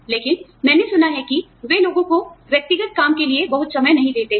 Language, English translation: Hindi, But, I have heard that, they do not allow people, very much time for, personal work